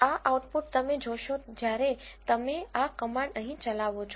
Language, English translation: Gujarati, This is the output you see when you execute this command here